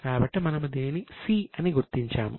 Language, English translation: Telugu, So, we are marking it as C